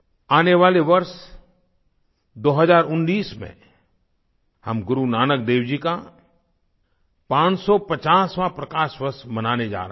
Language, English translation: Hindi, Come 2019, we are going to celebrate the 550th PRAKASH VARSH of Guru Nanak Dev ji